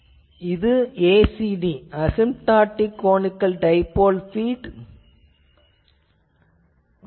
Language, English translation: Tamil, And finally, ACD Asymptotic Conical Dipole feed this is the thing